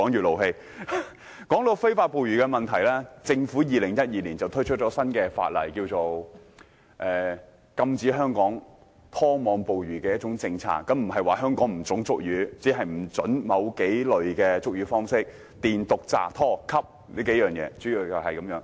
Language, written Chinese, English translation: Cantonese, 談到非法捕魚的問題，政府在2012年推出新法例，推行禁止拖網捕魚的政策，規定在香港進行捕魚活動，不得採用電、毒、炸、拖、吸這幾類捕魚方式。, Regarding illegal fishing the Government introduced a new piece of legislation in 2012 to implement a policy on banning trawling and prohibit certain fishing methods which involve the use of electricity poison explosives dredging and suction devices within Hong Kong waters